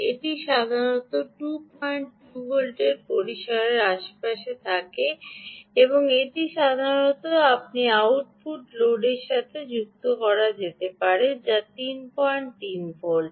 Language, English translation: Bengali, this is typically around the two point two volt range and this could be typically what you connect to the output loads, which is three point three volts